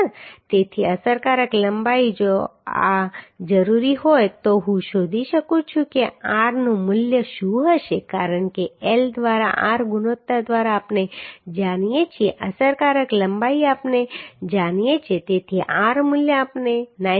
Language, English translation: Gujarati, 5 meter right So effective length if it is required this then I can find out what will be the value of r because L by r ratio we know effective length we know so r value we can find out as 9